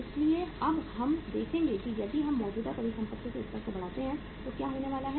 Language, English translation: Hindi, So now we will see that if we increase the level of current assets what is going to happen